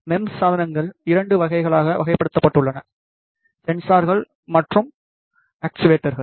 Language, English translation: Tamil, MEMS devices are categorized into 2 categories; sensors and actuators